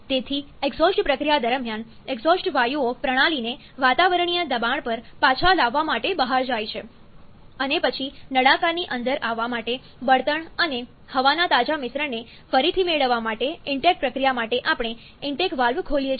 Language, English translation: Gujarati, So, during the exhaust process, the exhaust gas is goes out to get the system back to the atmospheric pressure and then we open the inlet valve to have the intake process to get again the fresh mixture of fuel and air to come inside the cylinder so, this is the actual cycle